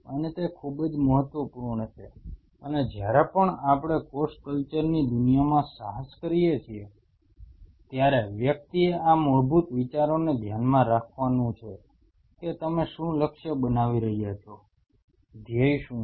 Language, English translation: Gujarati, And it is very important and whenever we venture into the world of cell culture, one has to keep this basic fundamental ideas in mind that what are you targeting, what is the goal